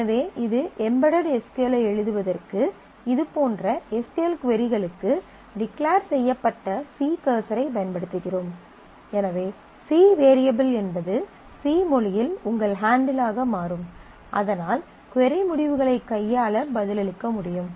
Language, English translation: Tamil, So, this is to write the embedded SQL, you use declared c cursor for such and such SQL queries, so then that C, variable C will become your handle in the in the C language to be able to answer handle the query results